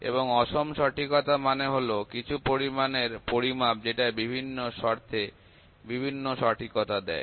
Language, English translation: Bengali, And unequal accuracy would mean the measurement of some quantity which gives different accuracy under different conditions